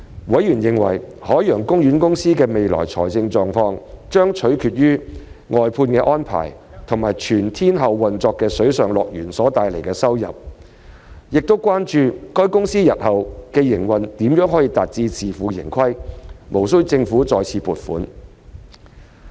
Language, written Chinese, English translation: Cantonese, 委員認為，海洋公園公司的未來財務狀況將取決於外判安排及全天候運作的水上樂園所帶來的收入，並關注海洋公園公司日後的營運如何能達至自負盈虧，而無需政府再次撥款。, Some members consider that the financial health of OP in the future will be reliant on the outsourcing arrangements and the revenue generated from the all - weather Water World . They are also concerned about how the future operation of OP can achieve self - sustainability without requiring further funding from the Government